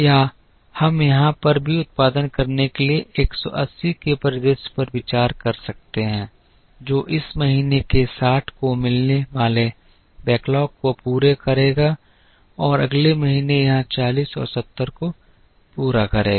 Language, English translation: Hindi, Or we could even consider a scenario of producing 180 here meet a backlog of 80 meet this month’s 60 and meet the next months 40 here and the 70 here